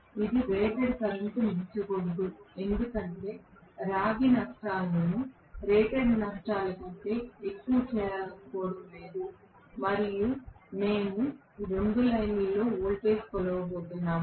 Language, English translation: Telugu, It should not exceed rated current because we do not want to make the copper losses greater than rated copper losses and we are going to measure the voltage across 2 lines